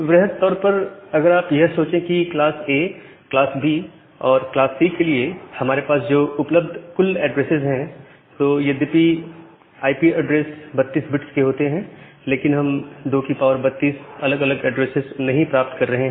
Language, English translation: Hindi, But broadly if you just think of that the total number of available addresses that we have for combining class A, class B and class C although IP address is 32 bit, we are not getting 2 to the power 32 different number of addresses